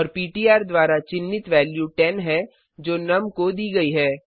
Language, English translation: Hindi, Also the value pointed by ptr is 10 which was assigned to num